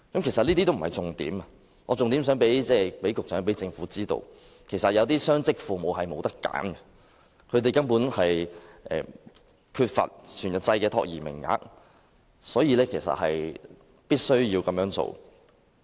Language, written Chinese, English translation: Cantonese, "其實，這些都不是重點，我重點是想讓局長和政府知道，有些雙職父母並無選擇，由於缺乏全日制託兒名額，他們必須要這樣做。, These are actually not the main points . My main point is to draw the attention of the Secretary and the Government that some dual - income parents have no choice but to bring their children to work because of the lack of full - day child care places